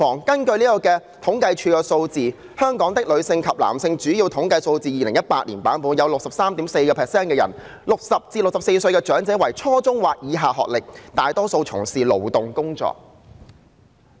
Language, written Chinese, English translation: Cantonese, 根據政府統計處的《香港的女性及男性——主要統計數字》，本港有 63.4% 的人屬於60至64歲的長者，具初中或以下學歷，大多數從事勞動工作。, According to the Women and Men in Hong Kong―Key Statistics 2018 Edition of the Census and Statistics Department 63.4 % of the population in Hong Kong are elderly aged between 60 and 64 with an educational attainment at lower secondary level or below and most of them are engaged in manual jobs